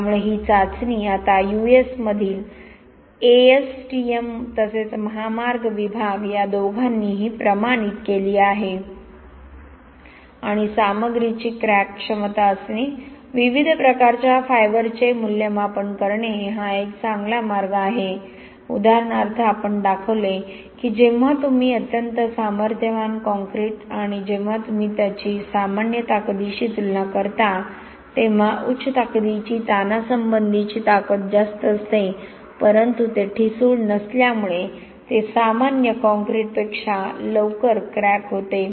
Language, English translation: Marathi, So you find out when the crack starts and then using microscope how wide the cracks are, so this test now has been standardise by both ASTM as well as highway department in US and it is a good way to have a crack potential of a material, evaluate different types of fibres, for example we showed that, when you make a highly strength concrete and when you compare it with the normal strength, high strength would have a higher tensile strength but because it is not brittle, it cracks sooner, earlier than normal concrete